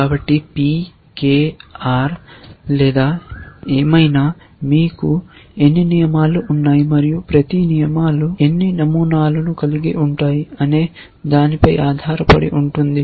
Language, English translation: Telugu, So, P K R or whatever, depending on how many rules you have and how many patterns each rules has essentially